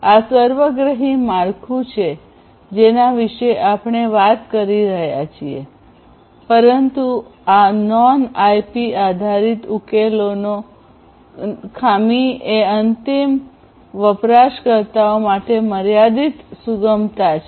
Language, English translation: Gujarati, So, this is this holistic framework that we are talking about over here, but the drawback of this non IP based solutions are that there is limited flexibility to end users